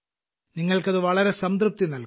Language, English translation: Malayalam, You will feel immense satisfaction